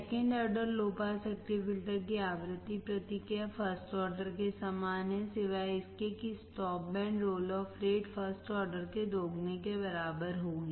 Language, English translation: Hindi, The frequency response of the second order low pass active filter is identical to that of first order, except that the stop band roll off rate will be twice of first order